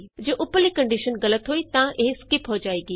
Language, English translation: Punjabi, If the above condition is false then it is skipped